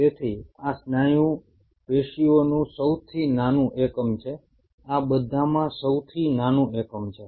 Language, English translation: Gujarati, So this is the smallest unit of muscle tissue